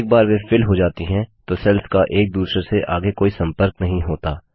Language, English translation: Hindi, Once they are filled, the cells have no further connection with one another